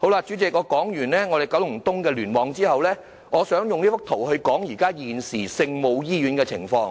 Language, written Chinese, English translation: Cantonese, 主席，說完九龍東聯網的情況後，我想用另一幅圖談談現時聖母醫院的情況。, President having discussed the situation of KEC I wish to use another chart to illustrate the present situation of the Our Lady of Maryknoll Hospital